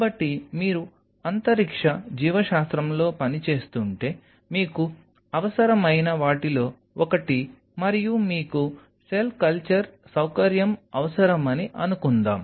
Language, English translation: Telugu, So, one of the things which you may need suppose you needed if you are working on a space biology, and you needed a cell culture facility